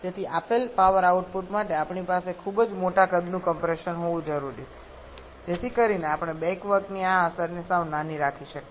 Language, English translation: Gujarati, Therefore for a given power output we need to have a very large sized compressor so that we can keep this effect of back work quite small